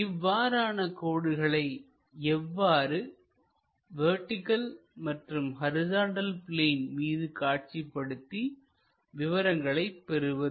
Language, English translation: Tamil, If such kind of lines are there how to project them onto this vertical plane, horizontal plane, get the information